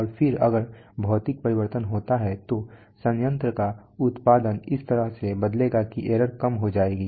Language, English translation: Hindi, And then hopefully if that physical change occurs then the plant output will change in such a manner that the error will reduce